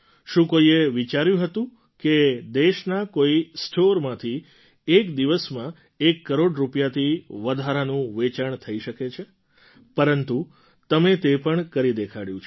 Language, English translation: Gujarati, Could anyone even think that in any Khadi store, the sales figure would cross one crore rupees…But you have made that possible too